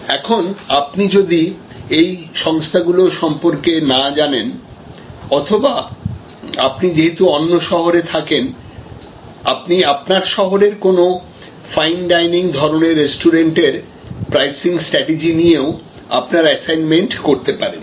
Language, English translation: Bengali, Now, if you are not familiar with these organizations or you prefer, because you are located in a different city, you can choose any fine dining sort of restaurant and do your assignment with respect to their pricing strategy